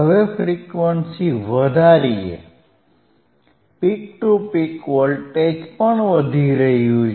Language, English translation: Gujarati, Now, let us increase the frequency, increase in the frequency you can also see that the peak to peak voltage is also increasing